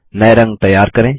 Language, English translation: Hindi, Create some new colors